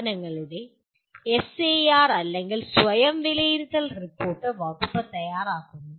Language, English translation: Malayalam, The institutions, the SAR or Self Assessment Report is prepared by the department